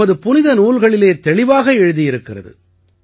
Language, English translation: Tamil, It is clearly stated in our scriptures